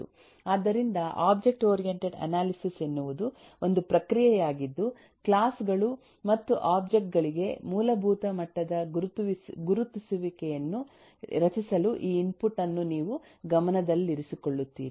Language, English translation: Kannada, so object oriented analysis is a process, is a practice that you will take up, in view of this eh input, to actually create a very basic level of eh identification for classes and objects